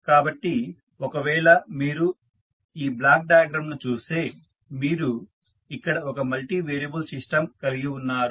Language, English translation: Telugu, So, if you see this block diagram here you have one multivariable system